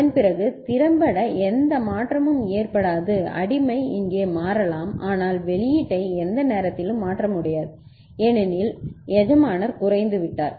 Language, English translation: Tamil, And after that there is effectively no change can occur slave can change here, but no way the output can alter at time because the master has gone low